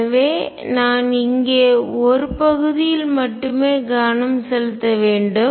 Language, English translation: Tamil, So, I need to focus only on one part here